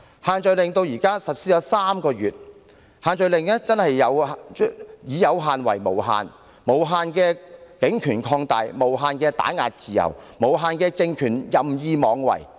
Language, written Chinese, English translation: Cantonese, 限聚令至今實施了3個月，可說是"以有限為無限"，無限的警權擴大，無限地打壓自由，無限地讓政權任意妄為。, The restrictions have so far been implemented for three months but such limited restrictions have been used to carry out unlimited suppression with unlimited room provided for the expansion of police power and suppression of freedom as well as for the ruling regime to act wilfully